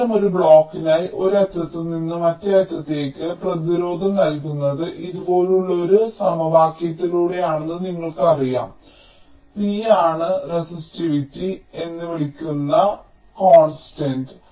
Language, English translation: Malayalam, now for such a block, you know that the resistance from one end to the other is given by an equation like this: rho is the constant called the resistivity